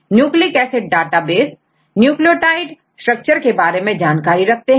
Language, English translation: Hindi, So, nucleic acid database also contains the information regarding the nucleotide structure